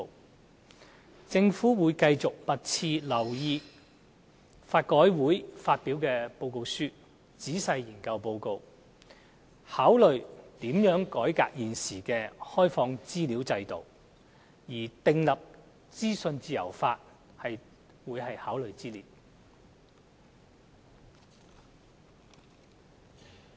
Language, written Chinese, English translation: Cantonese, 特區政府會密切留意法改會發表的報告書，仔細研究報告，考慮如何改革現時的公開資料制度，而訂立資訊自由法會在考慮之列。, The SAR Government will monitor closely the report of LRC and study it in detail . We will consider the ways to reform the present regime of access to information . The legislation for freedom of information is one of the options